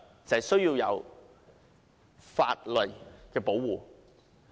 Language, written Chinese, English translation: Cantonese, 就是需要給他法律的保護。, The solution is to provide him with legal protection